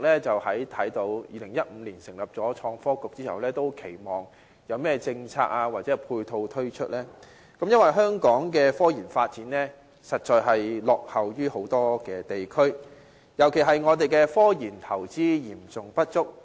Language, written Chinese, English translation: Cantonese, 在2015年成立創科局後，市民很期望看到有甚麼政策或配套推出，因為香港的科研發展實在落後於很多地區，我們的科研投資尤其嚴重不足。, After the inauguration of Innovation and Technology Bureau in 2015 people have been eager to see what policies or ancillaries will be launched as Hong Kongs development in scientific research definitely lags behind many other areas and our investment in scientific research in particular is sorely insufficient